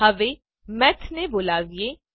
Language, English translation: Gujarati, Now let us call Math